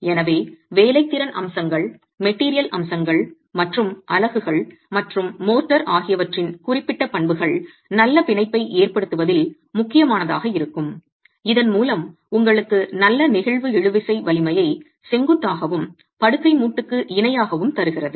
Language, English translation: Tamil, So, there are workmanship aspects, material aspects and specific properties of the units and the motor that will matter in establishing good bond and thereby giving you good flexual tensile strength normal and parallel to the bed joint